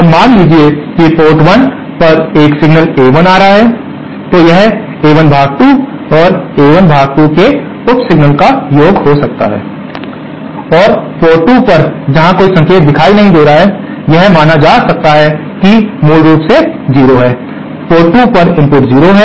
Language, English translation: Hindi, Now suppose there is a signal A1 appearing at port 1 then this A1 can be considered as the sum of 2 sub signals A1 upon 2 and + A1 upon 2 and at port 2, where no signal is appearing, that can be considered, basically that is0, 0 input at port 2